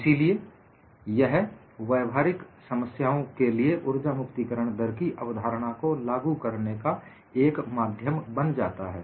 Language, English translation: Hindi, So, it provides the via media to apply the concept of energy release rate to practical problems